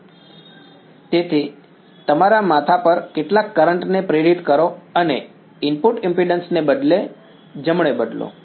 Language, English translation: Gujarati, So, inducing some currents on your head and changing the input impedance right